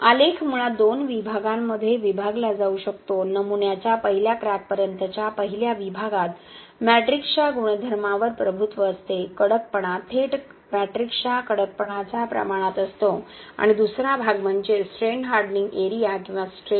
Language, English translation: Marathi, The graph can be basically divided into two segments, the first segment till first crack of the specimen is dominated by the properties of matrix the stiffness is directly proportional to the stiffness of the matrix itself and the second portion is the strain hardening area or the strain hardening zone where the properties of the textile is predominant